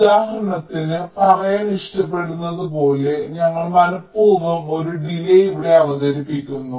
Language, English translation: Malayalam, how, like say, for example, we deliberately introduce a delay out here